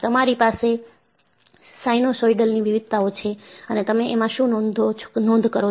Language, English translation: Gujarati, So, you have a sinusoidal variation and what do you record